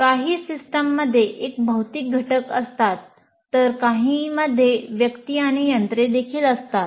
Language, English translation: Marathi, Some systems consist only of physical elements, while some will have persons and machines also